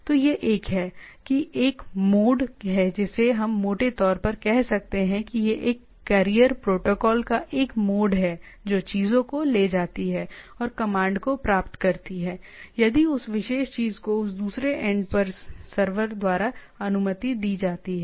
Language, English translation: Hindi, So, this is this is a mode of a I can we can roughly say it is a mode of a carrier protocol which takes the things and get the commands if that particular thing is allowed in that particular other end of the server